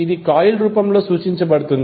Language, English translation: Telugu, This is represented in the form of coil